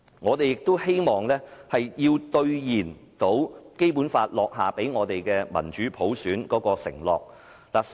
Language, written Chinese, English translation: Cantonese, 我們也希望兌現《基本法》所許下讓香港有民主普選的承諾。, We also hope that the promise of giving Hong Kong democratic universal suffrage under the Basic Law can be delivered